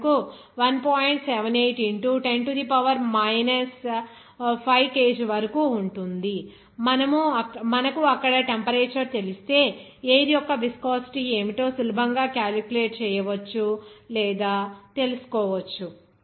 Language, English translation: Telugu, 78 into 10 to the power minus 5 kg per meter second, you can easily calculate or find out what should be the viscosity of the air if you know the temperature there